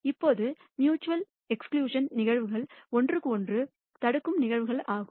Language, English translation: Tamil, Now, mutually exclusive events are events that preclude each other